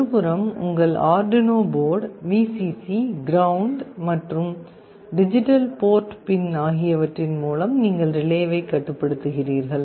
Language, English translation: Tamil, On one side you are controlling this from your Arduino board, Vcc, ground, and through a digital port pin you are controlling the relay